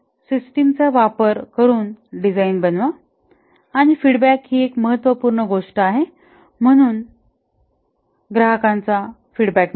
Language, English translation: Marathi, Therefore, put design into the system and feedback is a important thing, get customer feedback